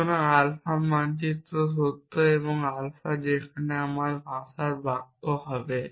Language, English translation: Bengali, So, I right rules like this if alpha maps true, and alpha is the sentence in my language there